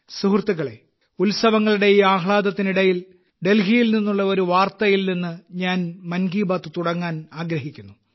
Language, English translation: Malayalam, Friends, amid the zeal of the festivities, I wish to commence Mann Ki Baat with a news from Delhi itself